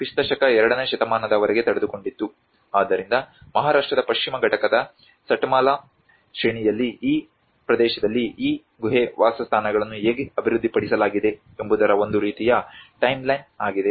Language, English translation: Kannada, So, that is a kind of timeline of how these cave dwellings have been developed in this region in the Satmala range of Western Ghats in Maharashtra